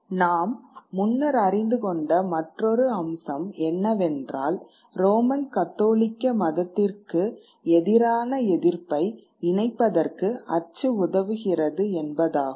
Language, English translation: Tamil, The other point which we had also checked out earlier is that print helps the opposition to Roman Catholicism connect